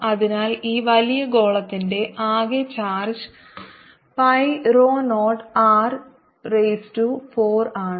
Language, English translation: Malayalam, so total charge on this big sphere is pi rho zero, capital r raise to four